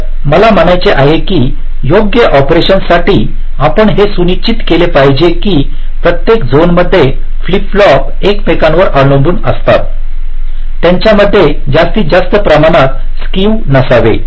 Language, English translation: Marathi, so what i mean to say is that for correct operation, so we must ensure that in every zone, the flip flops which depend on each other, there should not be too much skew among themselves